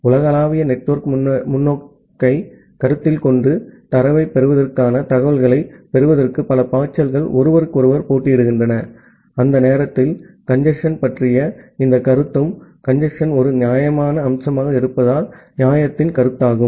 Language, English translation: Tamil, So, considering the global network perspective, where multiple flows are contending with each other to get the information to get the data, during that time this notion of congestion and the notion of fairness since congestion is an important aspect